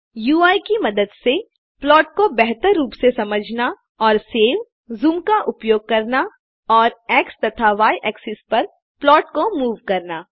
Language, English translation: Hindi, To Use the UI of plot for studying it better and using functionality like save,zoom and moving the plots on x and y axis